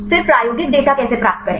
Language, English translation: Hindi, Then how to get the experimental data